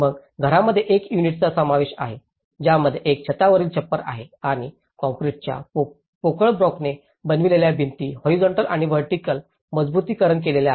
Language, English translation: Marathi, Then the house is consisted of a unit with a gabled roof and walls of made of concrete hollow blocks reinforced horizontally and vertically